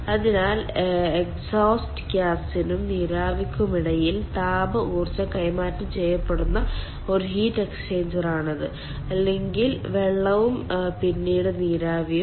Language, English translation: Malayalam, so this is a heat exchanger where there is exchange of thermal energy between the exhaust gas and the steam, or rather the water and then ah, steam